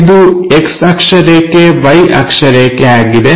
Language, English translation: Kannada, This is the X axis, Y axis